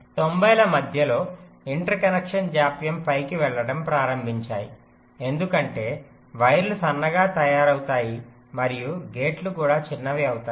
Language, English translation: Telugu, but in the mid nineties the interconnection delays, well, they started to go up because the wires become thinner and also the gates become smaller, they become faster